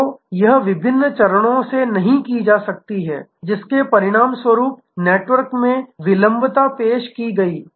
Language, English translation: Hindi, So, it is not going from to different stages as a result of, which there is latency introduced in the network